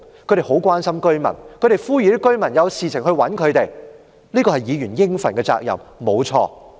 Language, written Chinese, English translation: Cantonese, 她們很關心居民，呼籲居民有事便找她們，這的確是議員應盡的責任。, They are very concerned about the residents and urged the residents to approach them if anything happens . This is indeed the duty of Members